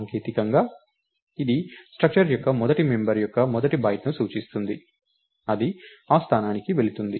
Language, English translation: Telugu, actually, technically it points to the first byte of the first member of the structure, it it it goes to that location